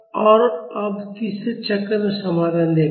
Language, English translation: Hindi, And now let us see the solution in the third half cycle